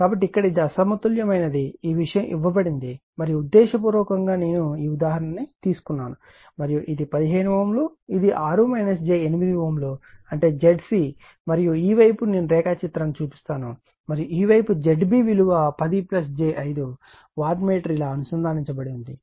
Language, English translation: Telugu, So, here it is un , Unbalanced Unbalanced thing is given and the intentionally I have taken this example right intentionally I have taken this example , and this is 15 ohm , this is your 6 minus j 8 ohm that is your Z c and this side I will show you the diagram and this side is your your Z b 10 plus j 5 watt wattmeter is connected like this